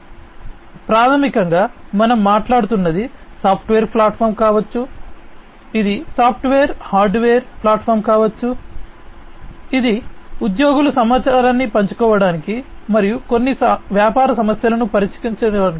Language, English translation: Telugu, So, basically we are talking about a platform which can be a software platform, which can be a software hardware platform, which helps the in employees to share information and solve certain business problems